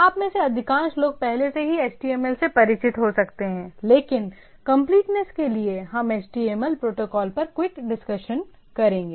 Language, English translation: Hindi, Most of you may be already familiar with HTML but to for the sake of completeness, we will have a quick discussion on HTML protocol, right